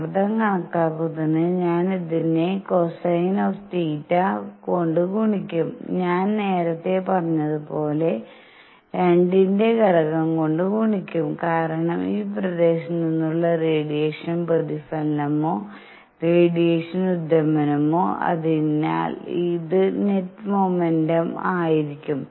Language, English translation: Malayalam, And for pressure calculation, I will further multiply this by cosine of theta and as I said earlier a factor of two because either the reflection or radiation emission from this area; so this would be the net momentum